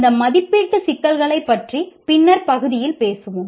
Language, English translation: Tamil, We will talk about these assessment issues in a later part